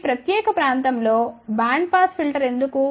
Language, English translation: Telugu, Then why a band pass filter in this particular region